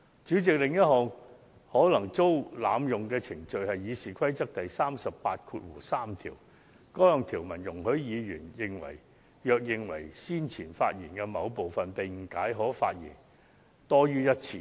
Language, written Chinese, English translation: Cantonese, 主席，另一項可能遭濫用的程序是《議事規則》第383條。該項條文容許議員若認為先前發言的某部分被誤解，便可再次發言。, President RoP 383 is another procedure that may be abused which provides that a Member who has spoken on a question may again be heard to explain some part of his speech which has been misunderstood